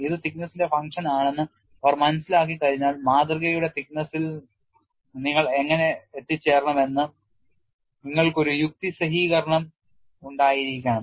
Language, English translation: Malayalam, Once they understood it is a function of thickness, then you have to have a rationalization, how you should arrive at the thickness of the specimen